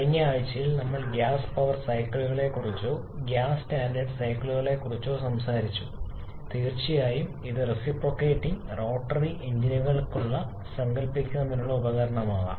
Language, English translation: Malayalam, In the previous week we talked about the gas power cycles or gas standard cycles, which of course cycles can be device for conceptualize both for reciprocating and rotary engines